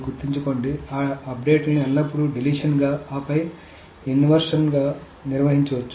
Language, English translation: Telugu, Remember that updates can be handled always as a deletion and then an insertion